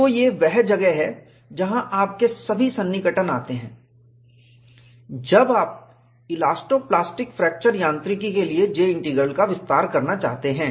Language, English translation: Hindi, So, this is where all your approximations come, when you want to extend J Integral for elasto plastic fracture mechanics